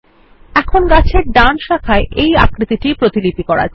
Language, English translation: Bengali, Now move the shape to the right branch of the tree